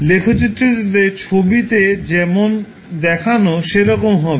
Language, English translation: Bengali, The plot would look like as shown in the figure